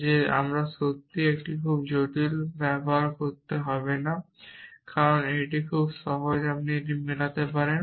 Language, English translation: Bengali, That we do not have to really use a very complicated, because it is very simple you can match it